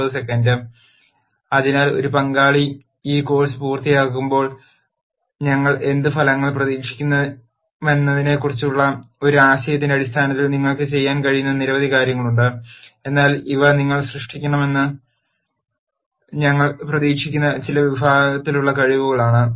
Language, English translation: Malayalam, So, in terms of an idea of what outcomes we would expect when a participant finishes this course there are many things that you can do, but these are some categories of skills that that we would expect you to generate